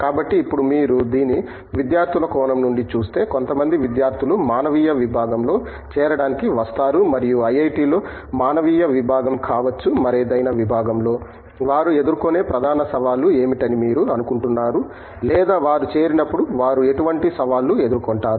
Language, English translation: Telugu, So, now if you look at it from student perspective, some students who come to join humanities department and may be a humanities department in an IIT, what do you think are major challenges that they may face or they tend to face when they join such a department